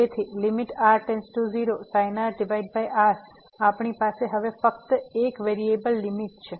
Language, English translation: Gujarati, So, limit this sin over as goes to 0 we have only one variable limit now